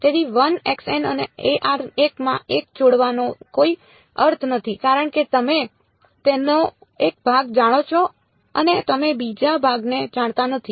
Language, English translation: Gujarati, So, there is no point in combining x n and a n into 1 because you know part of it and you do not know another part